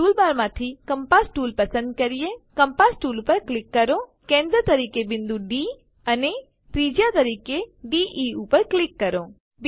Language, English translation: Gujarati, Lets select the compass tool from tool bar , click on the compass tool,click on the point D as centre and DE as radius